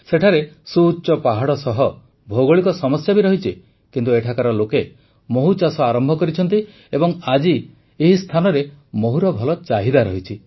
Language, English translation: Odia, There are steep mountains, geographical problems, and yet, people here started the work of honey bee farming, and today, there is a sizeable demand for honey harvested at this place